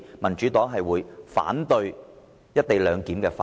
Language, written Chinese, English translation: Cantonese, 民主黨反對《條例草案》。, The Democratic Party opposes the Bill